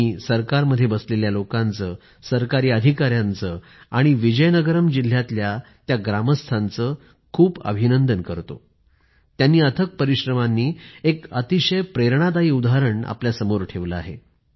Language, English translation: Marathi, I congratulate the people in the government, government officials and the citizens of Vizianagaram district on this great accomplishment of achieving this feat through immense hard work and setting a very inspiring example in the process